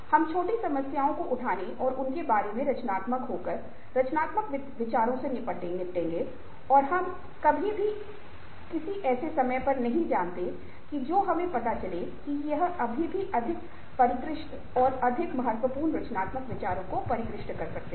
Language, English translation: Hindi, we will deal with creative thoughts of taking up small problems and being creative about it ah about them, and we never know, at some of point of time we might find that these may lead to still more refined, more ah, more cogent, more significant creative ideas